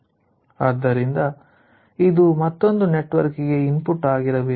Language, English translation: Kannada, so this should be the input to the another network